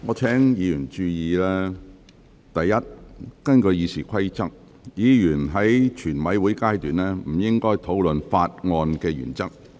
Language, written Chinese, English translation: Cantonese, 我請委員注意，第一，根據《議事規則》，委員在全體委員會審議階段不應討論《條例草案》的原則。, I would like Members to note the following first under the Rules of Procedure Members should not discuss the principles of the Bill at the Committee stage